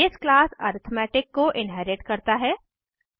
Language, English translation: Hindi, This inherits the base class arithmetic